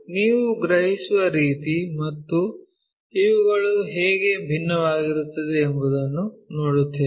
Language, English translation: Kannada, See, the way what you perceive and the way how it looks like these are different